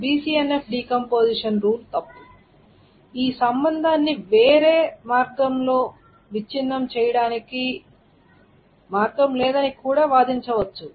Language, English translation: Telugu, And one can also say just to argue that maybe the BCNF decomposition rule was wrong that there is no way to break this relationship down into any other way